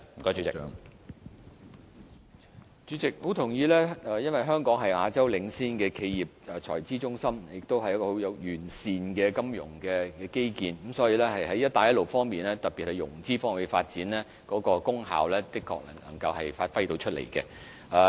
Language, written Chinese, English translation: Cantonese, 主席，我相當認同議員的意見，因為香港是亞洲領先的企業財資中心，也擁有相當完善的金融基建。所以，對於"一帶一路"倡議，特別是其融資方面的發展，香港是可以發揮到功效的。, President I very much agree with the Honourable Members views . As Hong Kong is a leading corporate treasury centre in Asia with very comprehensive financial infrastructure we can play an effective role in the Belt and Road Initiative especially in the development of financing